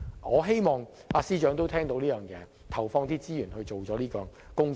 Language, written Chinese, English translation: Cantonese, 我希望司長聽到這項建議，投放資源進行有關工作。, I hope the Financial Secretary will take this advice and allocate resources for this task